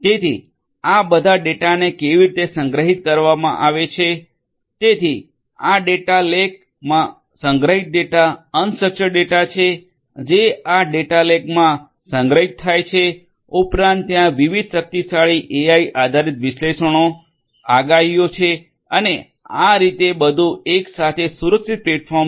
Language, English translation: Gujarati, So, this is how this all this data are stored, so the data stored in the data lake all these are unstructured data these are stored in the data lake plus there are different powerful AI based analytics prediction and so on and everything together is a secured platform